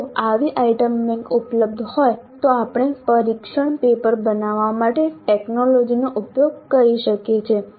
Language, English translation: Gujarati, So if such an item bank is available we can use the technology to create a test paper